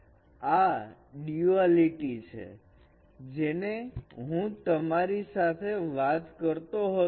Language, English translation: Gujarati, So this is that duality what I was talking about